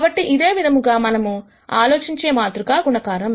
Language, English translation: Telugu, So, this is what we can think of this, matrix multiplication as